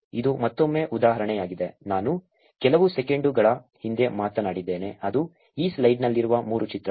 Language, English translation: Kannada, So, this is again example, that I talked few seconds back which is the three images in this slide